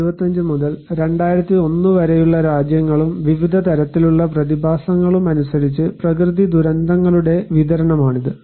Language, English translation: Malayalam, This one is the distribution of natural disasters by country and type of phenomena from 1975 to 2001